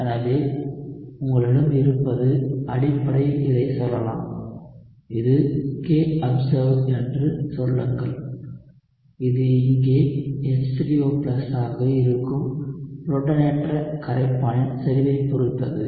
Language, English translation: Tamil, So, what you have is essentially you can say this, say this is k observed it only depends on concentration of the protonated solvent which is H3O+ here